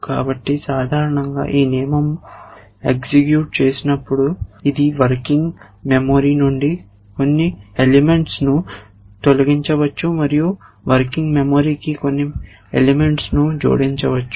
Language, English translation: Telugu, So, typically a rule when it executes it will delete may be a couple of element from the working memory, at may add a couple of elements to the working memory